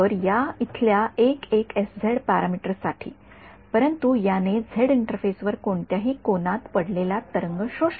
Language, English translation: Marathi, So, this for this guy over here the parameter 1 1 s z, but this absorbed a wave incident at any angle on the z interface